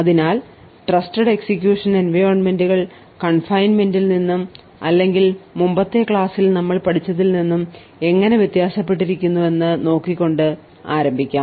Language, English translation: Malayalam, So, we will start off with how Trusted Execution Environment is different from confinement or the topics that we have studied in the previous lectures